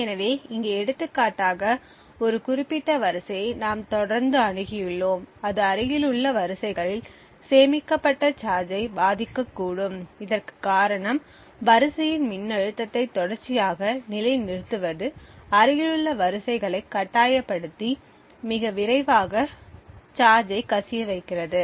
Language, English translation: Tamil, So for example over here we had one specific row which has been continuously accessed and it could influence the charge stored in the adjacent rows, the reason for this is that continuously toggling the row voltage slightly opens the adjacent rows, thus forcing the adjacent rows to leak much more quickly